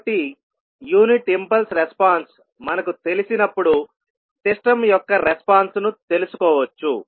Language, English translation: Telugu, So we can find out the response of the system when we know the unit impulse response